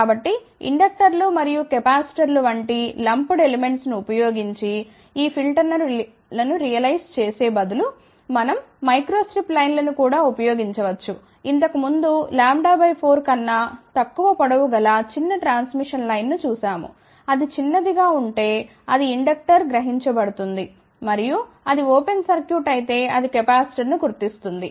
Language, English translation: Telugu, So, we had also seen that instead of realizing these filters using lumped elements like, inductors and capacitors, we can also use microstrip lines, we had earlier seen a small transmission line of length less than lambda by 4, if it is shorted it realizes inductor and if it is open circuited, it realizes capacitor